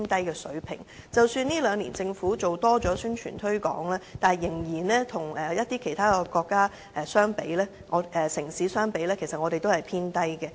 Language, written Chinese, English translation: Cantonese, 即使這兩年政府比以往多做宣傳推廣，但跟其他城市相比，我們的器官捐贈數字仍是偏低。, Despite the additional promotion of the Government done in the past two years our number of organ donation is still lower than those of other cities